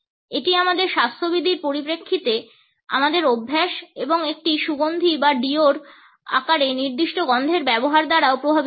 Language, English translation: Bengali, It is also influenced by our habits in terms of our hygiene and the use of a particular smell in the shape of a perfume or deo